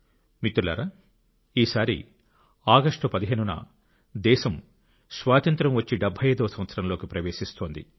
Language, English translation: Telugu, Friends, this time on the 15th of August, the country is entering her 75th year of Independence